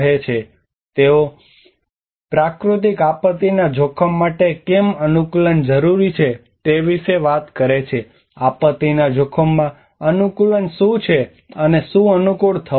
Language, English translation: Gujarati, So they talk about why adaptation is needed for natural disaster risk, what is adaptation to disaster risk, and adapt to what, who has to adapt